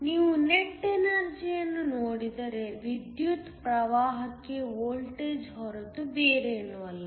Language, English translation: Kannada, If you look at the net power, power is nothing but the voltage into the current